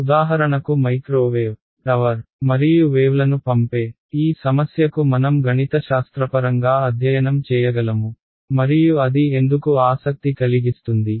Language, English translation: Telugu, For example to this problem which is which has your microwave, tower and sending your waves to you can I study it mathematically and why would that be of interest